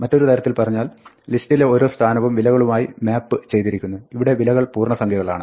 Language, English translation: Malayalam, So, an alternative way of viewing a list is to say that it maps every position to the value; in this case, the values are integers